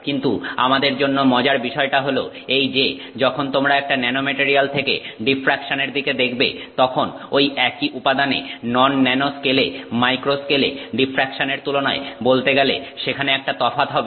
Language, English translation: Bengali, But what is interesting to us is that when you look at the diffraction from a nanomaterial, there is a difference when compared to the diffraction of the same material in the non nano scale, in the macro scale so to speak